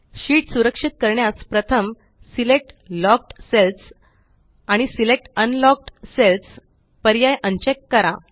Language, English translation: Marathi, To protect the sheet, first, un check the options Select Locked cells and Select Unlocked cells